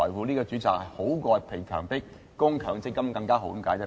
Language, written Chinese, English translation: Cantonese, 這個選擇比被強迫供強積金更好。, This option is better than forcing people to keep money in their MPF accounts